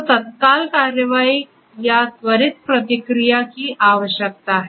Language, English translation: Hindi, So, there is a need for immediate action or quicker response